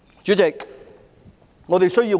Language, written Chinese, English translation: Cantonese, 主席，我們需要甚麼？, President what are we truly in need of?